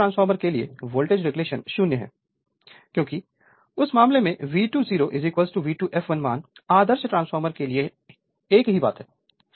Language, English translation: Hindi, For an ideal transformer voltage regulation is 0 because in that case your V 2 0 is equal to your V 2 f l value is same thing because for ideal transformer right